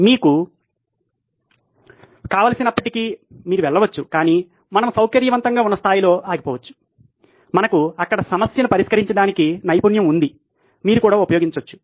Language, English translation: Telugu, You can go as many as you want, but we can stop at a level where we are comfortable, we have a skill set, that you can use to solve the problem there